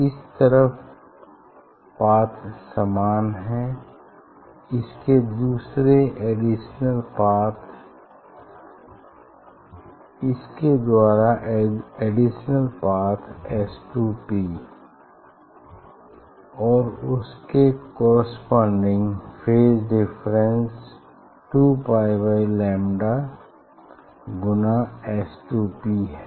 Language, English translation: Hindi, only in that term there will be path difference S 2 P and phase difference 2 pi by lambda S 2 P